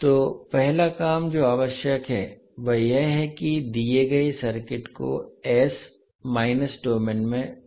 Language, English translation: Hindi, So first task which is required is that convert the given circuit into s minus domain